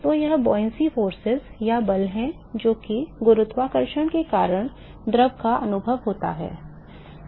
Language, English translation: Hindi, So, it is the buoyancy forces or force that the fluid is experienced in because of gravity